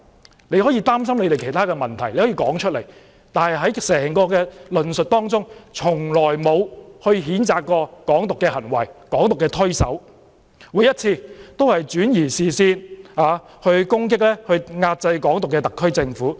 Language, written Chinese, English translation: Cantonese, 他們如果擔心其他問題，可以說出來，但在整個論述當中，從來沒有譴責"港獨"的行為、推手，每次只是轉移視線，攻擊遏制"港獨"的特區政府。, If they are concerned about other issues they can spell them out but in their discourse they have never condemned any action to promote Hong Kong independence . In all the cases they invariably created red herrings and attacked the SAR Government that sought to combat Hong Kong independence